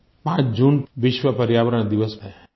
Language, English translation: Hindi, 5th June is World Environment Day